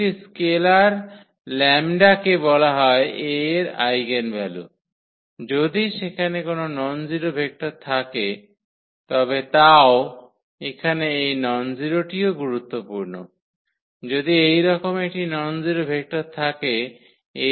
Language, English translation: Bengali, A scalar lambda is called eigenvalue of A if there exists nonzero vector yeah, that is also important here this nonzero; vector if there exists a nonzero vector such that such that this Ax is equal to lambda x